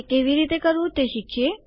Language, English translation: Gujarati, Let us learn how to do it